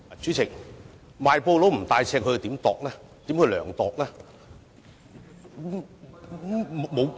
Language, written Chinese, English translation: Cantonese, 主席，賣布不帶尺，如何進行量度？, Chairman how can cloth sellers take measurements if they do not have a measuring tape?